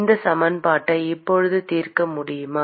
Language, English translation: Tamil, Can we solve this equation now